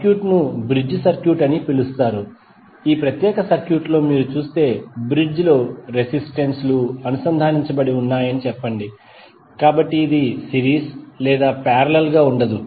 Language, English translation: Telugu, Say in this particular circuit if you see the circuit is called a bridge circuit where the resistances are connected in bridge hence this is not either series or parallel